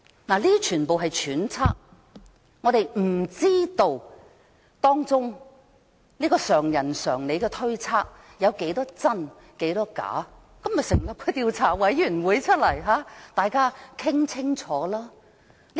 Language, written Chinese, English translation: Cantonese, 當然，以上都是揣測，我們不知道這個常人常理的推測多少是真、多少是假，所以，應該成立調查委員會，讓大家討論清楚。, Of course these are speculations; we do not know to what extent these common sense speculations are true or false; thus an investigation committee should be set up for further discussion